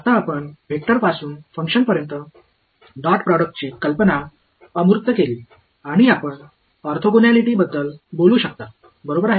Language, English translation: Marathi, Now, you are abstracted the idea for dot product from vectors to functions and you can talk about orthogonality right